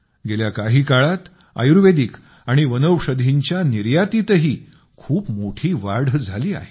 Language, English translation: Marathi, In the past, there has been a significant increase in the export of Ayurvedic and herbal products